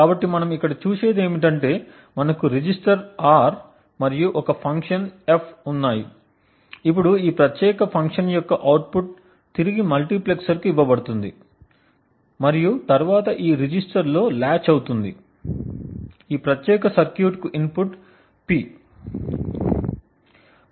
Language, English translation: Telugu, So what we see over here is that we have a register R and some function F, now the output of this particular function is fed back to a multiplexer and then gets latched into this register, the input to this particular circuit is P